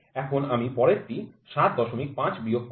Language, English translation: Bengali, 5 will be the next one I subtract